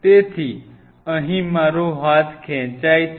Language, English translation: Gujarati, So, here is my arm is stretch